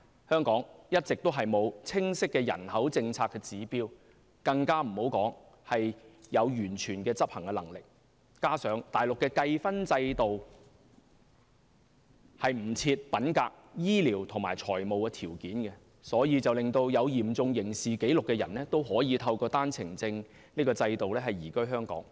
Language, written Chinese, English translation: Cantonese, 香港一直沒有清晰的人口政策指標，更別說有完全的執行能力，加上內地計分制度不設品格、醫療及財務條件，所以有嚴重刑事紀錄的人也可以透過單程證制度移居香港。, Hong Kong has all along lacked an unequivocal index for its population policies not to mention the full execution capabilities . In addition Mainland authorities do not require applicants to go through any integrity medical or financial examination under the Mainlands points system . Therefore Mainlanders with severe criminal record may emigrate from the Mainland to Hong Kong under the OWP system